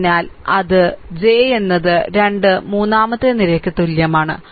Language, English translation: Malayalam, So, that is j is equal to the 3 third column